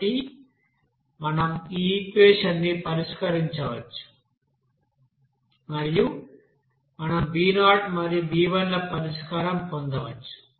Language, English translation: Telugu, So we can solve this equation and we can get the solution for you know b0 and b1